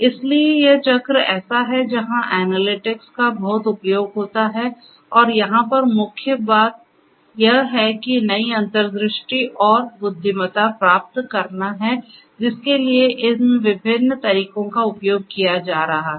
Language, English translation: Hindi, So, this is more or less this cycle where analytics finds lot of use and the core thing over here is to derive new insights and intelligence for which these different methods of analytics are going to be used